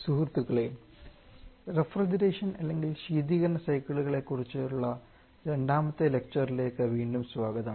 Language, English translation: Malayalam, Hello friends, welcome again for the second lecture on refrigeration cycles